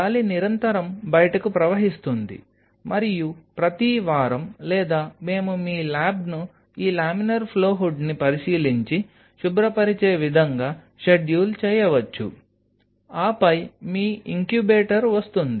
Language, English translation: Telugu, So, that the air continuously flows out and every week or we can schedule your lab in such a way that this laminar flow hood is being inspect it and cleaned then comes your incubator